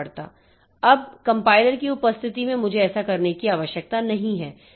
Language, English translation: Hindi, Now, presence of compilers, they are actually helping us